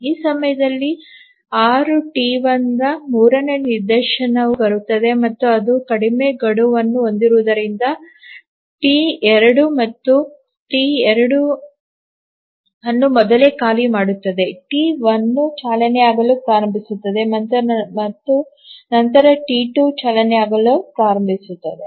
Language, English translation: Kannada, At the time instance 6, the third instance of T1 arrives and because it has a shorter deadline then the T2 it again preempts T2, T1 starts running and then T2 starts running